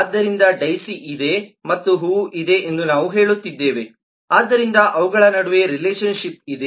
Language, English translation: Kannada, so we are saying that there is a daisy and a flower, so there is a relationship between them